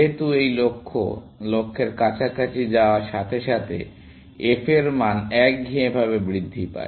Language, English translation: Bengali, Since, this is, this goal, as go closer to the goal, the f value monotonically increases